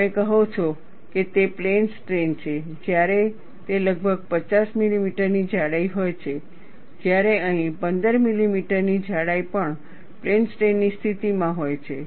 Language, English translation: Gujarati, You say it is plane strain, when it is about 50 millimeter thickness; whereas, here, even a 15 millimeter thickness is in a situation of plane strain condition